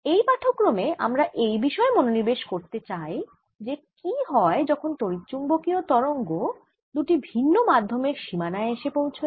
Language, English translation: Bengali, in this lecture is what happens when electromagnetic waves come at a boundary between two different medium